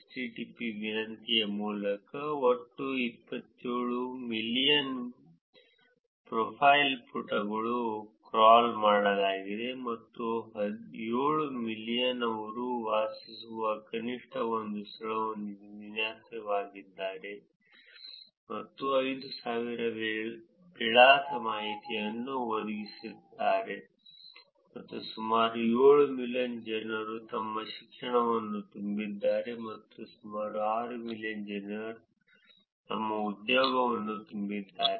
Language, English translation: Kannada, In total 27 million profile pages through HTTP request were crawled, and 7 million defined at least one place where they lived, and 5000 provided address information and about 7 million filled their education and about close to 6 million filled their employment